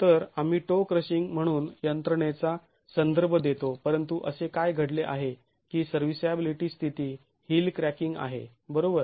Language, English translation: Marathi, So, we refer to the mechanism as toe crushing, but what has happened at the serviceability state is heel cracking